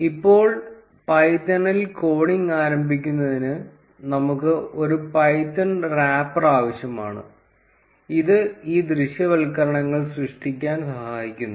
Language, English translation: Malayalam, Now to start coding in python, we would need a python wrapper, which aids in creating these visualizations